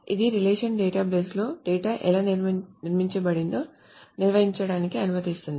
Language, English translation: Telugu, So it allows to define how the data is structured in a relational database